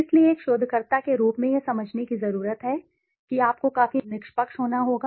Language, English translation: Hindi, So, as a researcher one needs to understand that you have to be fair enough